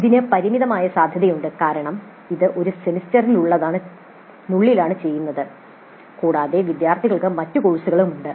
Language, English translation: Malayalam, It has a limited scope because it is done within a semester and also there are other courses through which the students go through